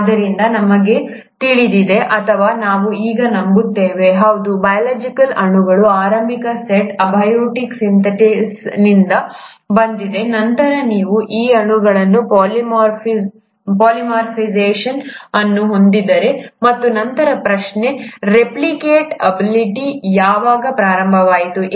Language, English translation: Kannada, So, we do know, or we do now believe that yes, the initial set of biological molecules were from abiotic synthesis, then you ended up having polymerization of these molecules, and then the question is, ‘When did the replicative ability begin’